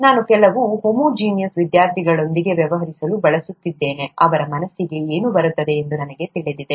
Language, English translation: Kannada, I’m used to dealing with a certain homogenous set of students, I know what comes to their mind